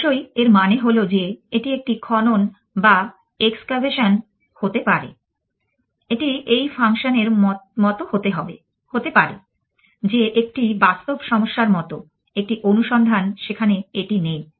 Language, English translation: Bengali, Of course, it means that may be this is an excavation maybe it is like this function like that that real one problems a search there it is not